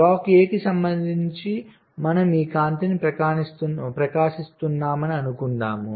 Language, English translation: Telugu, lets take this: suppose we are illuminating this light with respect to a block a